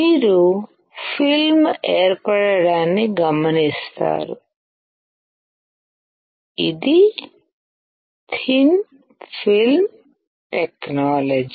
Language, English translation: Telugu, You will observe a film formation; this is a thin film technology